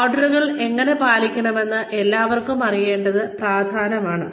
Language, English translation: Malayalam, It is important for everybody to know, how to follow orders